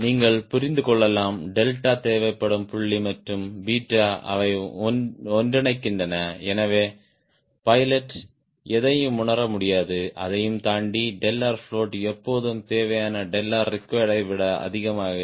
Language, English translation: Tamil, you can understand the point here: where delta required and delta r float, they converge so pilot cannot fill anything and beyond that, delta float will be always higher than the delta required